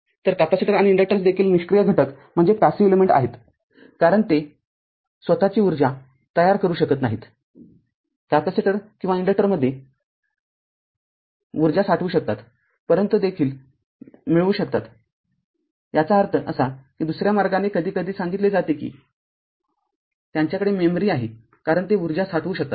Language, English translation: Marathi, So, capacitor inductors also passive elements because, they of their own they cannot generate energy you can store their energy in capacitor, or inductor you can retrieve also; that means, other way sometimes we tell that they have memory like because they can store energy right